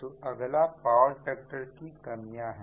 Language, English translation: Hindi, so next is disadvantages of low power factor